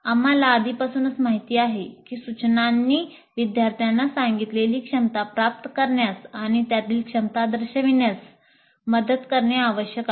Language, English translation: Marathi, We already know that instruction must facilitate students to acquire the competencies stated and demonstrate those competencies